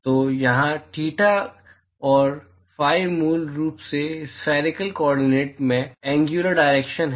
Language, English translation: Hindi, So, here theta and phi are basically the angular directions in spherical coordinates